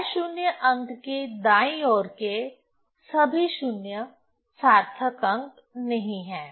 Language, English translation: Hindi, So, all 0s to the right of the non zero digit in the decimal part are significant